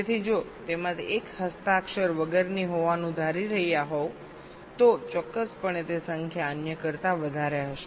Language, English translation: Gujarati, so if one of them is one, assuming to be unsigned, definitely that number will be greater than the other